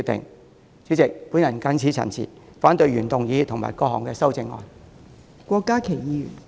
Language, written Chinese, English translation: Cantonese, 代理主席，我謹此陳辭，反對原議案及各項修正案。, Deputy President with these remarks I oppose the original motion and all the amendments